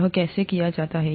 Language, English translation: Hindi, How is this done